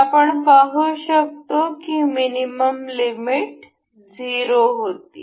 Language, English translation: Marathi, So, we can see the minimum limit was 0